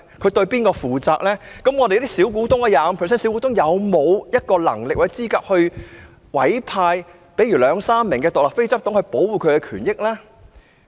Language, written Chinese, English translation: Cantonese, 佔 25% 股權的小股東有沒有能力或資格委派兩三名獨立非執行董事來保障他們的權益呢？, Do the minority shareholders who own 25 % of the shareholding have the power or the eligibility to appoint two to three independent non - executive directors for the protection of their interests?